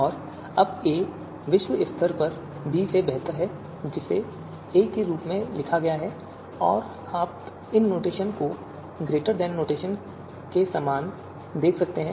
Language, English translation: Hindi, And now a is globally better than b, written as a and you can see these notation similar to greater than notation